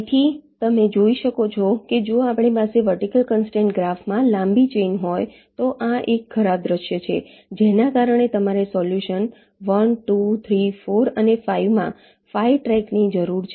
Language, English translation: Gujarati, so you can see that if we had a long chain in the vertical constraint graph, this is a bad scenario, because of which you need five tracks in the solution: one, two, three, four and five